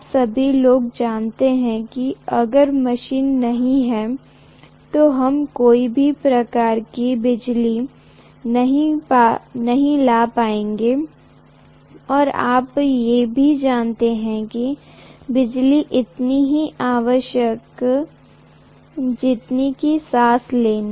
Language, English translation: Hindi, All of you guys know that if machines are not there, we are not going to be able to get any electricity and you know that literally we are our you know it is as good as breathing, electricity